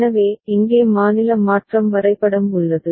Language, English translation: Tamil, So, here is the state transition diagram